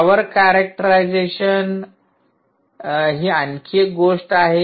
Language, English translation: Marathi, power characterization is another story